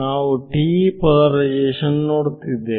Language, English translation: Kannada, We are looking at TE polarization